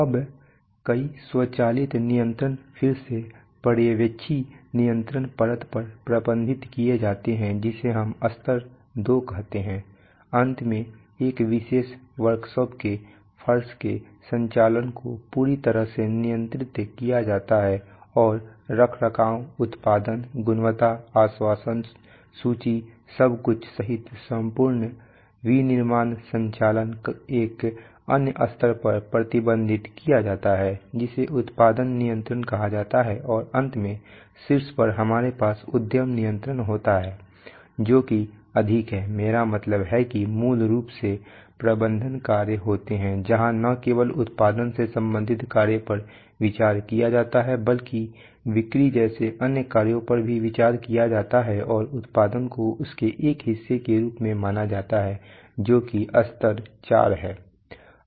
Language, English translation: Hindi, Now a number of automatic controls are again managed at the Supervisory control layer which we call level 2, finally the operation of a particular shop floor as a whole is controlled and the whole overall manufacturing operation including maintenance, production, quality assurance, inventory, everything is managed at another level which is called production control and finally right at the top we have enterprise control which is, which is more like I mean basically consists of management functions, where not only the production related operations are considered but even other operations like sales, sales, marketing new product development everything is considered and production is considered just as a part of it that is level 4